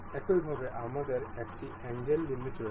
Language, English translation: Bengali, Similarly, we have angle limit as well